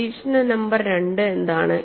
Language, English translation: Malayalam, What is the observation number two